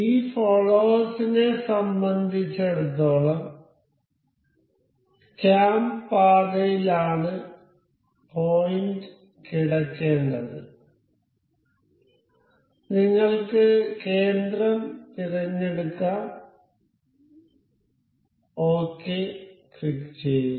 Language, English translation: Malayalam, For this follower the point that has to be lying over this this cam path, let us just select the center you click ok